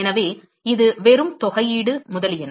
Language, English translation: Tamil, So, it is just the integral, etcetera, etcetera